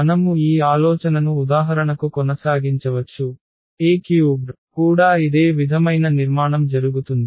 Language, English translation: Telugu, We can continue this idea for example, A 3 also the same similar structure will happen